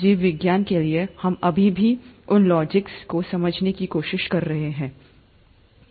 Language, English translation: Hindi, For biology, we are still trying to understand those logics